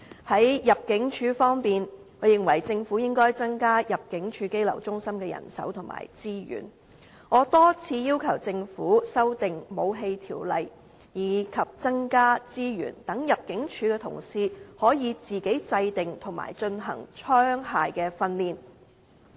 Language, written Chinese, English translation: Cantonese, 在入境處方面，我認為政府應該增加入境處羈留中心的人手和資源，我多次要求政府修訂《武器條例》，以及增加資源，讓入境處同事可以自行制訂和進行槍械訓練。, Regarding the Immigration Department ImmD I believe the Government should increase manpower and resources for the detention centres . I have also time and again demanded an amendment of the Weapons Ordinance and allocation of additional resources so that ImmD can design and carry out firearms training internally